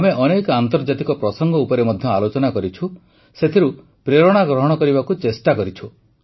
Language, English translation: Odia, We also spoke on many global matters; we've tried to derive inspiration from them